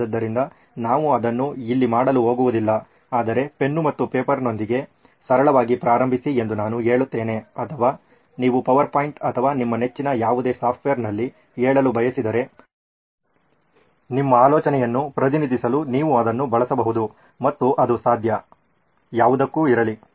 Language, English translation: Kannada, So we are not going to do that here but I would say start simple with a pen and paper or if you are used to say on a PowerPoint or some any of your favorite software, you can use that just to represent your idea and it could be for anything